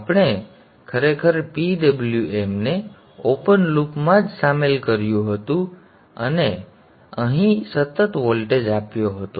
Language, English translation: Gujarati, We had actually included the PWM in the open loop itself and we had given a constant voltage here